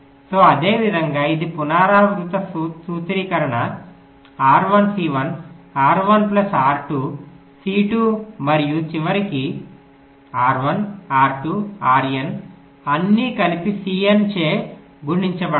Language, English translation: Telugu, so like that it is like a recursive formulation: r one, c one, r one plus r two, c two, and at the end r one, r two, r n all added together multiplied by c n